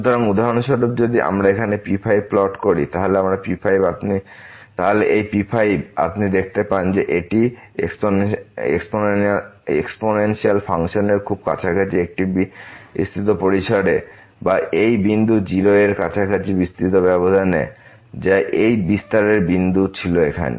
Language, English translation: Bengali, So, for example, if we plot here then this if you see it is pretty close to the exponential function in a very wide range of or in a wide interval around this point 0 which was the point of this expansion here